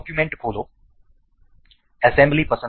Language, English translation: Gujarati, Open new document assembly